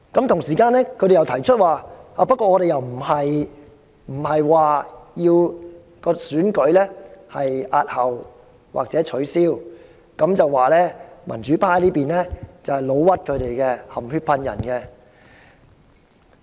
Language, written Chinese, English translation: Cantonese, 同時，他們又說沒有打算押後或取消選舉，是民主派議員"老屈"他們、含血噴人。, They also said that they have no intention to postpone or cancel the election and they have been wrongly accused and smeared by the pro - democracy Members